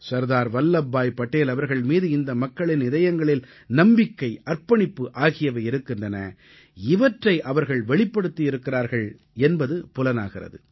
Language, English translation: Tamil, The reverence and devotion for Sardar Vallabhbhai Patel in their hearts was reflected in the form of homage paid to him